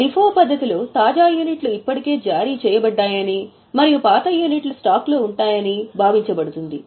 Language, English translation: Telugu, In LIFO method, it will be assumed that the latest units are already issued and older units will be there in the stock